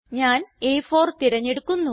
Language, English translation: Malayalam, I will select A4